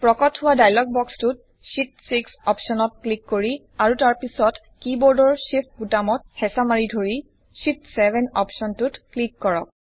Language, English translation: Assamese, In the dialog box which appears, click on the Sheet 6 option and then holding the Shift button on the keyboard, click on the Sheet 7 option